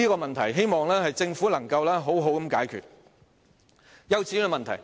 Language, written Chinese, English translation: Cantonese, 所以，希望政府能妥善解決這個問題。, Hence I hope the Government can properly resolve this problem